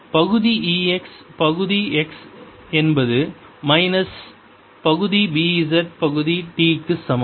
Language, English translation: Tamil, y over partial x is equal to minus, partial e b, z over partial t